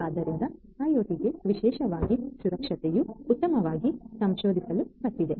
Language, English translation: Kannada, So, security for IT particularly in general is something that has been well researched